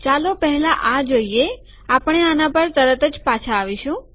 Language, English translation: Gujarati, First lets see this, we will come back to this shortly